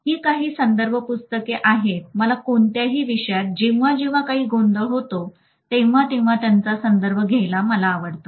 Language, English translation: Marathi, So these are some of the reference books that we might like to refer to whenever we have some confusion in any of the topics